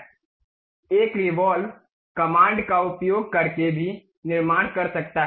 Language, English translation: Hindi, One can also construct using a revolve command